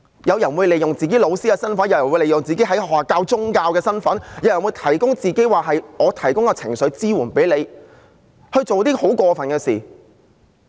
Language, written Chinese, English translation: Cantonese, 有人會利用自己當老師的身份，有人會利用自己在學校教授宗教的身份，有人會聲稱為你提供情緒支援而做出很過分的事。, Some of them might do something nefarious making use of their identity as a teacher while teaching religion at school or in the disguise of providing emotional support